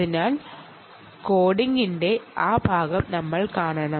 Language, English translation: Malayalam, so, ah, let us go there to that part of the code